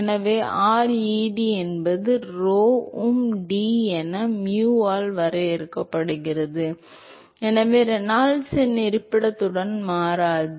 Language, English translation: Tamil, So ReD is defined as rho um D by mu, so which means that the Reynolds number does not change with the location